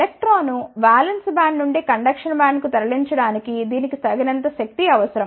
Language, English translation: Telugu, It requires a sufficient amount of energy to move an electron from the valence band to the conduction band